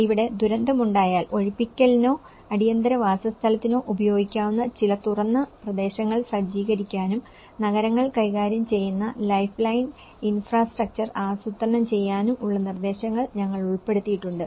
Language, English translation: Malayalam, Here, we need to incorporate to set out some open areas that could be used for the evacuation or emergency housing, in case of disaster and to plan for lifeline infrastructure that cities manage